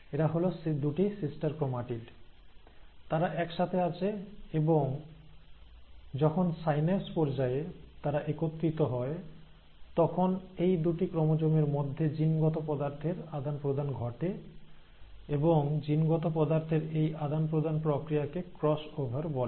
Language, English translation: Bengali, So this is two sister chromatids, there are two sister chromatids, they are coming together, and when they come together at the stage of synapse, there is an exchange of genetic material between these chromosomes, and this process of exchange of material is what is called as the cross over